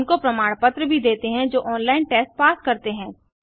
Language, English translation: Hindi, Give certificates for those who pass an online test